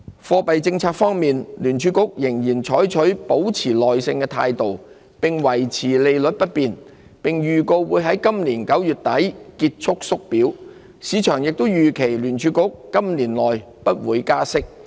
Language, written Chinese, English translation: Cantonese, 貨幣政策方面，聯儲局仍採取"保持耐性"的態度，維持利率不變，並預告會在今年9月底結束縮表，市場也預期聯儲局今年內不會加息。, In respect of monetary policy the Federal Reserve reaffirmed its patient stance holding interest rates steady while signalling an end to the unwinding of its balance sheet at the end of September this year . Markets also expect the Federal Reserve to hold off on rate hikes this year